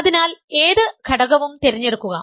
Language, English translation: Malayalam, So, pick any element of